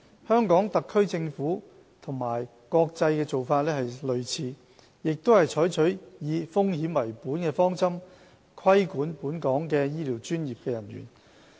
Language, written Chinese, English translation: Cantonese, 香港特區政府與國際做法相似，也是採取以風險為本的方針，規管本港的醫療專業人員。, The Hong Kong SAR Government in line with the international practice also adopts a risk - based approach in the regulation of our health care professionals